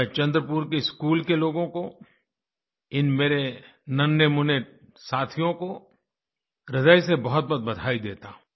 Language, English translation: Hindi, I congratulate these young friends and members of the school in Chandrapur, from the core of my heart